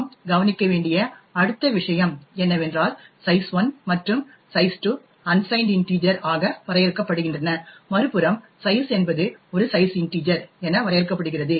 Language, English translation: Tamil, The next thing you would notice is that size 1 and size 2 is defined as unsigned integers while on the other hand size is defined as a size integer